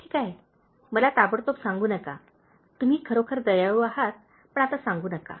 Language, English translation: Marathi, Okay, don’t tell me immediately, you are really kind but don’t tell now